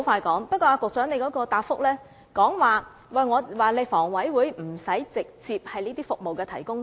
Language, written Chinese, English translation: Cantonese, 局長在主體答覆中表示，房委會不須是康樂設施的直接提供者。, The Secretary has mentioned in the main reply that the Hong Kong Housing Authority HA does not need to be a direct provider of amenities